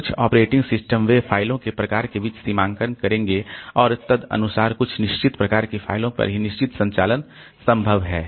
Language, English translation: Hindi, Some operating systems so they will demarcate between the types of the files and accordingly certain operations are possible on certain types of files only